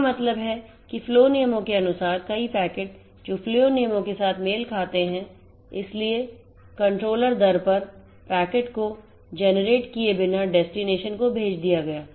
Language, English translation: Hindi, That means, according to the flow rules multiple number of packets which are matched with the flow rule eventually forward it to the destination without generating the packet at the controller rate